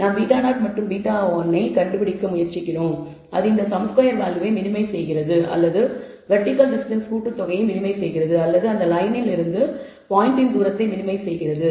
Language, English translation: Tamil, And we try to find beta 0 and beta 1, which minimizes this sum squared value or minimizes the sum of the vertical distances or the point from that line